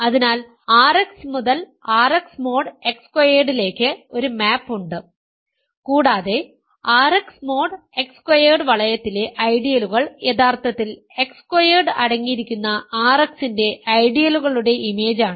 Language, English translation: Malayalam, So, there is a map from R X to R X mod X squared and ideals in the ring R X mod X squared are actually images of ideals of R X which contain X squared